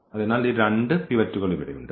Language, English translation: Malayalam, So, we have these two pivot elements here